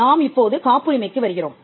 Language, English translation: Tamil, Now, we come to the patent itself